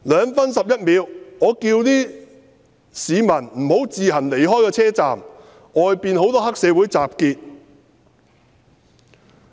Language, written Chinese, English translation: Cantonese, 2分11秒：我叫市民不要自行離開車站，外面有很多黑社會分子集結。, At 2 minute 11 second I told the people not to leave the station on their own as many triad members had assembled outside